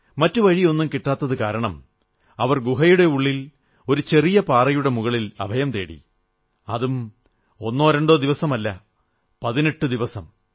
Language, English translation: Malayalam, Not able to find a way out, they perched themselves a top a mound inside the cave; not for a day or two, but an entire 18 days